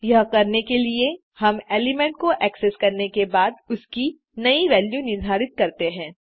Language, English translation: Hindi, To do this, we simply assign the new value after accessing the element